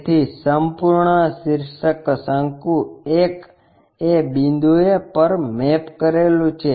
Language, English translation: Gujarati, So, the entire apex cone 1 mapped to that point